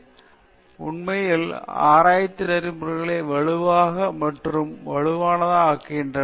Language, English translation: Tamil, There are many other issues, which got, which actually made the domain of research ethics stronger and stronger